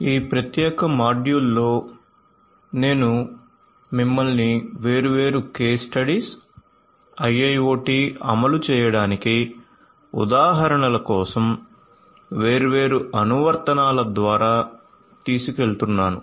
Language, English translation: Telugu, In this particular module I am going to take you through different case studies different applications for examples of implementation of IIoT